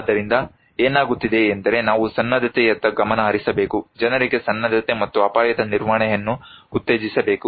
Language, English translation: Kannada, So, what is happening is that we need to focus on preparedness, to promote preparedness and risk governance to the people